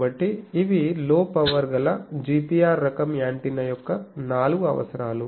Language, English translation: Telugu, So, these are the four requirements of any low power GPR type of antenna